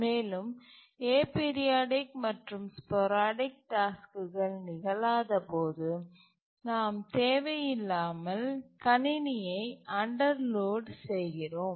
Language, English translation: Tamil, And also when the sporadic or aperidic tasks don't occur, then we are unnecessarily underloading the system